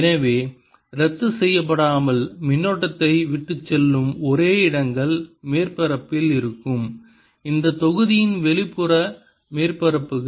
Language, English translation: Tamil, and therefore the only places where the current is going to be left without being cancelled is going to be on the surfaces, outer surfaces of this block